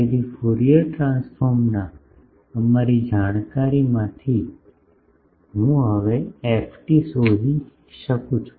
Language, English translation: Gujarati, So, from our knowledge of Fourier transform, I can now find ft